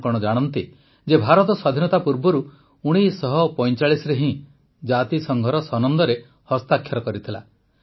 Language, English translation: Odia, Do you know that India had signed the Charter of the United Nations in 1945 prior to independence